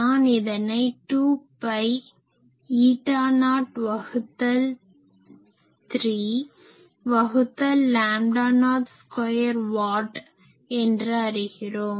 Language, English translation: Tamil, I can find that this will be 2 pi eta not by 3 d l by lambda not square watt